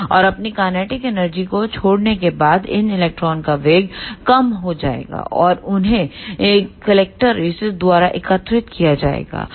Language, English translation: Hindi, And after giving up their ah kinetic energy, the velocity of these electrons will be reduced and they will be collected by the collector